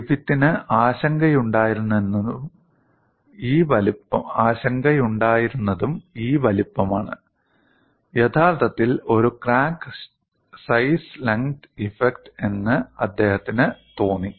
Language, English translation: Malayalam, So, what Griffith concluded was, the apparent size effect was actually a crack size effect